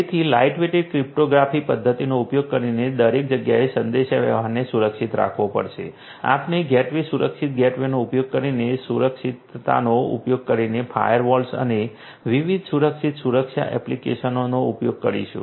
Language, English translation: Gujarati, So, the communication you know the communication everywhere will have to be secured suitably using lightweight cryptographic methods, we using gateways secured gateways, using secured, using firewalls and different secure security applications